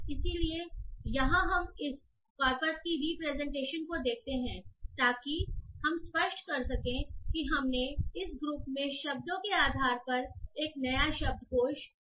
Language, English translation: Hindi, For this corpus just to make things clear, we have created a new dictionary based on the words in this corpus